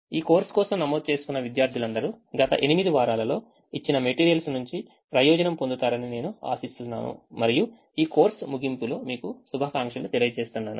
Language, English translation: Telugu, we hope that all the students have registered for this course would benefit from the material that has been presented in the last eight weeks and let me wish you all the best at the end of this course